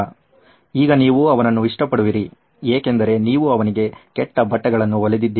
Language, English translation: Kannada, He is not going to like you because you have stitched bad fitting clothes for him